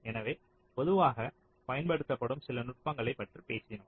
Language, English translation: Tamil, so we have talked about some of this techniques which have quite commonly used